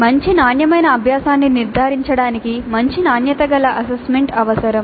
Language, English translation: Telugu, A good quality assessment is essential to ensure good quality learning